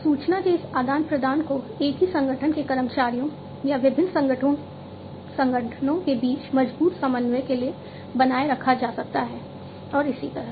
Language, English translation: Hindi, This exchange of information can be maintained for stronger coordination between the employees of the same organization or across different organizations and so on